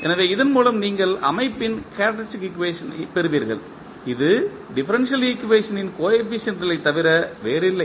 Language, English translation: Tamil, So, with this you get the characteristic equation of the system which is nothing but the coefficients of the differential equation